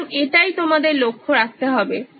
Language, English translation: Bengali, So that is what you have to look at